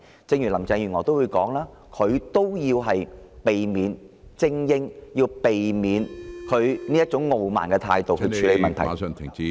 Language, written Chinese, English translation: Cantonese, 就連林鄭月娥也說要擺脫精英主義，要避免以她那種傲慢的態度處理問題。, Even Carrie LAM said that we should get rid of elitism to avoid being arrogant like her when dealing with problems